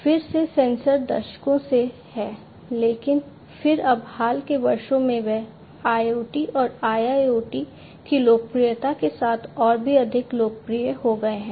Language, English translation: Hindi, Again sensors have been there for decades, but then now recently they have become even more popular in the recent years, with the popularity of IoT and IIoT